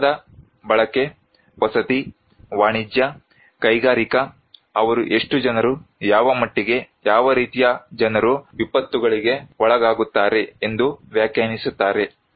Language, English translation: Kannada, Let us say, building use; residential, commercial, industrial, they define that how many people, what extent, what type of people are exposed to disasters